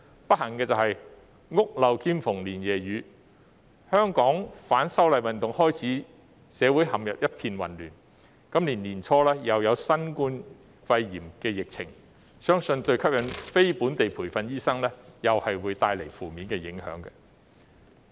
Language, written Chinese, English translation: Cantonese, 不幸的是"屋漏兼逢連夜雨"，香港自反修例運動開始，社會陷入一片混亂，今年年初又有新型冠狀病毒疫情，相信對於吸引非本地培訓醫生來港，會帶來負面影響。, Unfortunately suffering one blow after another Hong Kong society has fallen into a state of chaos since the movement of opposition to the proposed amendments to the Fugitive Offenders Ordinance started . Early this year there was also the outbreak of the coronavirus disease . I believe all these have a negative impact on attracting non - locally trained doctors to come to Hong Kong